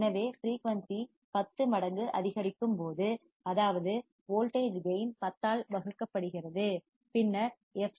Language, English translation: Tamil, So, when the frequency is increased tenfold, that is the voltage gain is divided by 10, then the fc is decreased at the constant